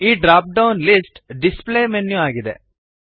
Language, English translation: Kannada, This dropdown list is the display menu